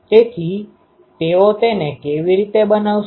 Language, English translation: Gujarati, So, how they make it